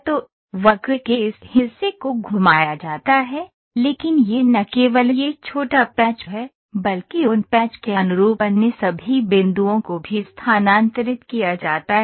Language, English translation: Hindi, So, this portion of the curve is tweaked, but it is not only this small patch, but corresponding to those patch all other points are are also moved